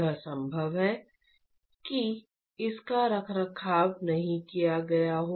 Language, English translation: Hindi, It is possible it is not maintained